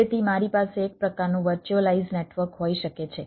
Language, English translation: Gujarati, so i can have a ah sort of a virtualize network and ah